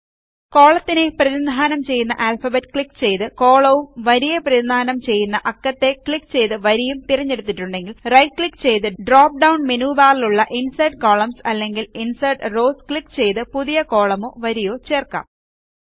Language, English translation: Malayalam, If you have selected a column by clicking the Alphabet that identifies it or a row by the Number that identifies it, then right click and choose the Insert Columns or Insert Rows option in the drop down menu that appears, in order to add a new column or row